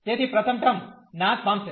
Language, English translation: Gujarati, So, first term will vanish